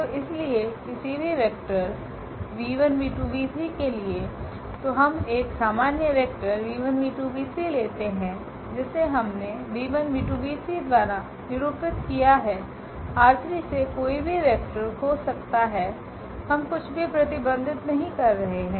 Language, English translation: Hindi, So, for any vector so we take a general vector this v 1, v 2, v 3 which we have denoted by this v 1, v 2, v 3 that can be any vector from R 3, we are not restricting anything on v 1, v 2, v 3